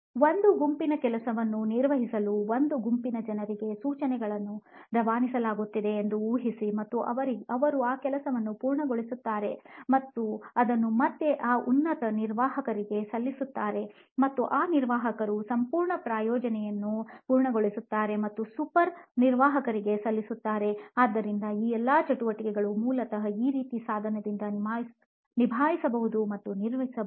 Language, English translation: Kannada, Imagine a set of instructions are being passed to a set of people to perform a set of job and they complete that task and again submit it to that higher admin and that admin completes the entire project and submits to the super admin, so all these activities can be handled and probably managed to a device like this basically